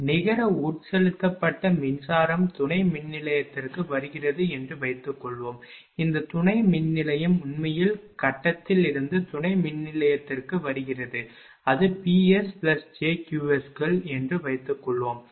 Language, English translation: Tamil, Suppose net injected power is power coming to the substation, this substation actually power coming from the grid to the substation, suppose it is P s plus j Q s, right